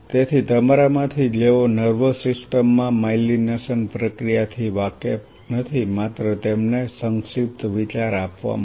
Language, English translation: Gujarati, So, those of you who are not aware of the myelination process in the nervous system just to give you a brief idea